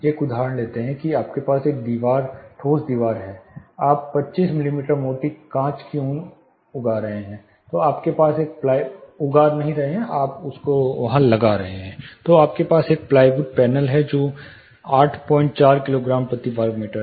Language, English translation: Hindi, Let us take an example you have a wall, solid wall, you are mounting 25 mm thick glass wool, then you have a panel, plywood panel which is 8